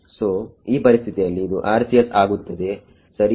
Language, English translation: Kannada, So, in this case it will be RCS rights